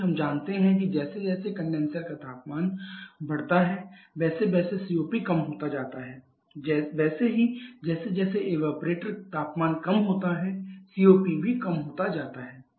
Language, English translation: Hindi, Because we know that as the condenser temperature increases the COPD decreases similarly as the evaporator temperature decreases the COP also decreases